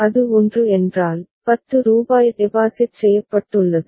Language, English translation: Tamil, If it is 1, rupees 10 has been deposited